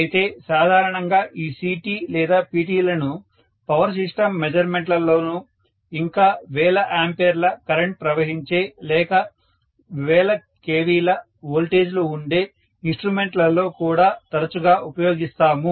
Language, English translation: Telugu, But in general these CTs and PTs are very very commonly used in power system measurement and instrumentation where thousands of amperes of current are normally you know passed and thousands of kilovolts of voltage are encountered